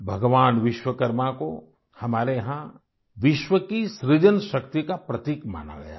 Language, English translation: Hindi, Here, Bhagwan Vishwakarma is considered as a symbol of the creative power behind the genesis of the world